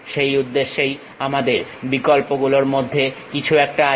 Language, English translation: Bengali, For that purpose we have some of the options